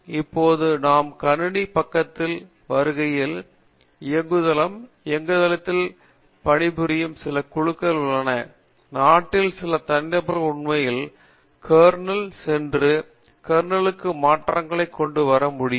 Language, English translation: Tamil, Now, when we come to the system side, that is the operating system, there are very few groups which work on operating system, there few very individuals in the country who can actually going to a kernel and come out with modifications to the kernel